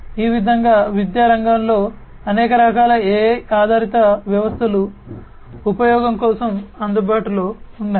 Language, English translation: Telugu, Like this, there are many different types of AI based systems in education sector that are available for use